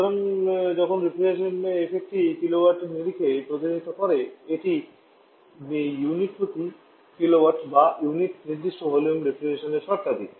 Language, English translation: Bengali, So while the reflection effect is represent in terms of kilowatt, this is kilowatt volume it specific volume or terms of refrigeration per unit specific volume